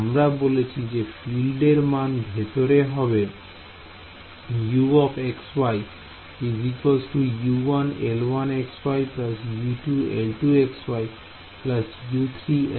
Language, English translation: Bengali, We said that the field anywhere inside U x comma y was written as sum U 1 L 1 x y plus U 2 L 2 x y plus U 3 L 3 x y right